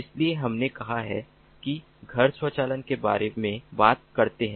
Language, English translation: Hindi, we are talking about home automation